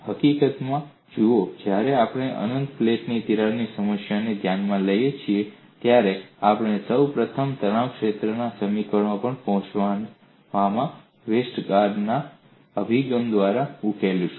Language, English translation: Gujarati, See in fact, when we take up the problem of a crack in an infinite plate, we would first solve by Westergaard’s approach, in arriving at the stress field equations